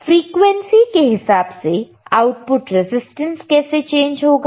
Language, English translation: Hindi, With respect to frequency, with respect to frequency how your output resistance is going to change